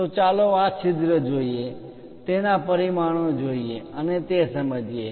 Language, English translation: Gujarati, So, let us look at this hole, the dimensions and understand that